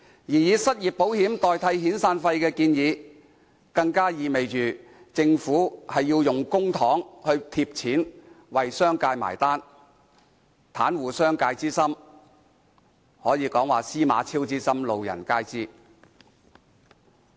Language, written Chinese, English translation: Cantonese, 至於以失業保險金代替遣散費的建議，更意味着政府有意運用公帑倒貼為商界"買單"，袒護商界之心可說是"司馬昭之心，路人皆知"。, With regard to the proposal to replace severance payments with unemployment insurance fund it implies that the Government intends to use public funds to foot the bill for the business sector . Its bias towards the business sector is too obvious to all